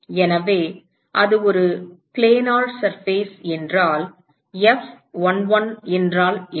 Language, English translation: Tamil, So, supposing if it is a planar surface what is the F11